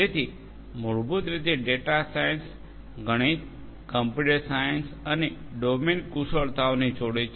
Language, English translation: Gujarati, So, basically data science combines the knowledge from mathematics, computer science and domain expertise